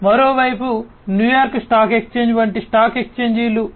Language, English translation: Telugu, On the other hand, you know stock exchanges like New York stock exchange, etcetera